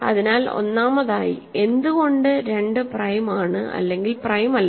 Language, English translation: Malayalam, So, first of all, why is 2 prime or not prime